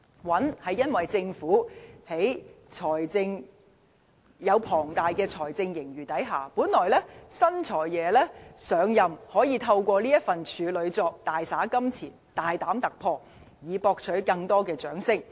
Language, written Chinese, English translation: Cantonese, "穩"，是因為在政府擁有龐大財政盈餘的情況下，本來新"財爺"上任可以透過這份處女作大灑金錢、大膽突破，以博取更多的掌聲。, I regard it as taking a measured path because against the backdrop of a huge fiscal surplus amassed by the Government the new Financial Secretary could have spent any amount of money to break new ground and win applause in his first Budget